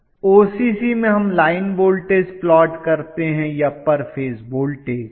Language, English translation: Hindi, In OCC do we plot a line voltage or per phase voltage